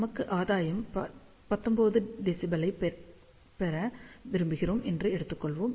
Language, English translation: Tamil, So, let us say we want to have a gain of 19 dBi